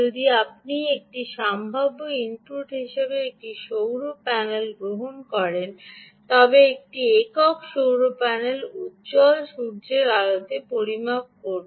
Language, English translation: Bengali, if you take a solar panel as a possible input, a single solar panel will measure um under bright sunlight conditions